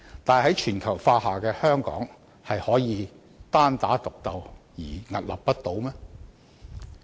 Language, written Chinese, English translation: Cantonese, 但是，在全球化下的香港，難道可以單打獨鬥而屹立不倒？, However given the competition under globalization can Hong Kong fight a lone battle and still survive?